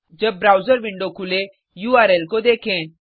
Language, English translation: Hindi, When the browser window opens, look at the URL